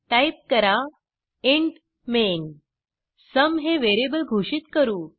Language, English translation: Marathi, Type int main() Let us declare a variable sum here